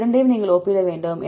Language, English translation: Tamil, You have to compare these two